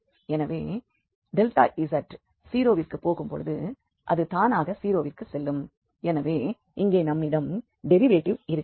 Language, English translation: Tamil, So that when delta z goes to 0 naturally this will go to 0, so we have the derivative here